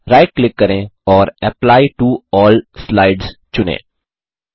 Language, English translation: Hindi, Right click and select Apply to All Slides